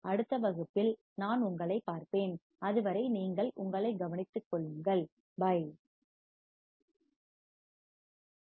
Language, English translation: Tamil, And I will see you in the next class, till then you take care, bye